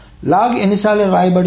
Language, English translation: Telugu, So how many times will the log be written